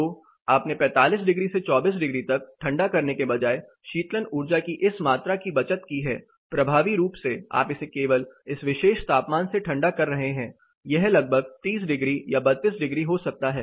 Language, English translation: Hindi, So, you are saved this much amount of cooling energy rather than cooling they are from 45 degrees to 24 degrees effectively you are only cooling it from this particular temperature; say it may be around 30 degrees or 32 degrees